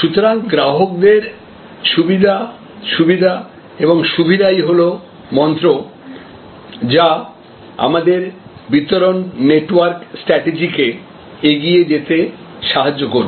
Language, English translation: Bengali, So, convenience, convenience, convenience is the mantra, which will guide our distribution network strategy